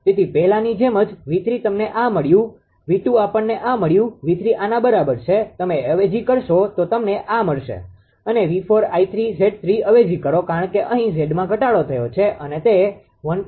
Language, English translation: Gujarati, So, same as before first your ah V 3 you got this one, V 2 we got this one, V 3 is equal to this one, you substitute you will get this one right and V 4 also you just substitute I 3 and Z 3 right, because Z here is decrease it is 1